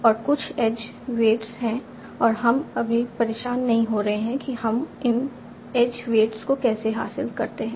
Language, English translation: Hindi, And there are some edge weights and we are not bothering right now and how do we achieve these edge bits